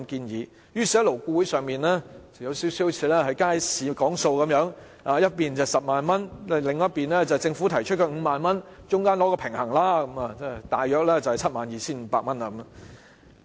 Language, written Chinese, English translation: Cantonese, 於是勞顧會就像街市議價般，一邊提出 100,000 元，另一邊政府提出 50,000 元，中間取個平衡便大約是 72,500 元。, Hence just like bargaining in the market while the legislators proposing 100,000 on one side and the Government proposing 50,000 on the other LAB then struck the balance that is at around 72,500